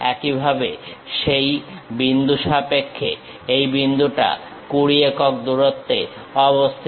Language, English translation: Bengali, Similarly, with respect to that point this point is at 20 units location